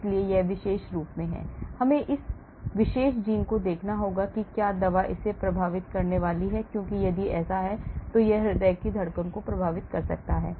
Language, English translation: Hindi, so this particular; we have to look at this particular gene and see whether the drug is going to affect this because if so, it may affect the heart beating